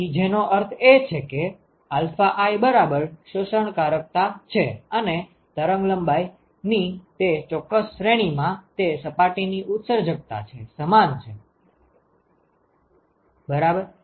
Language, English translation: Gujarati, So, which means that alpha i equal to absorptivity is equal to emissivity of that surface in that particular range of wavelength right